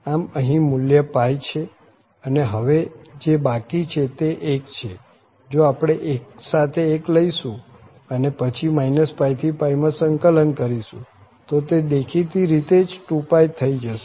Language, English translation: Gujarati, So, here the value is pi in either case the only member left is 1, if we take 1 with 1 and then integrate from minus pi to pi dx, in this case the value will be 2 pi naturally